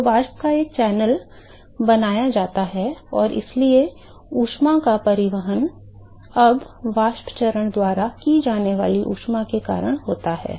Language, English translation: Hindi, So, a channel of vapor is created, and so, the heat transport is now because of the heat that is carried by the vapor phase